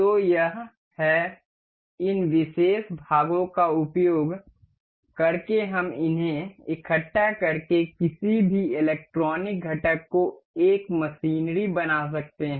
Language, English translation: Hindi, So this is, using the these particular parts we can assemble these to form one machinery any electronic component anything